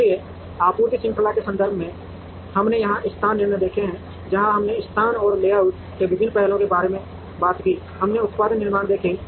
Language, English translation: Hindi, So, from a context of supply chain we have seen location decisions here, where we spoke about different aspects of location and layout, we seen production decisions